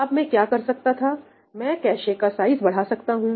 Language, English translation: Hindi, Now, what I could do is that I could increase the cache size